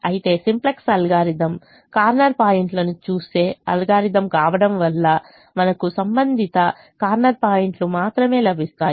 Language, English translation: Telugu, but simplex algorithm, being an algorithm that looks at corner points, will give us only the corresponding corner points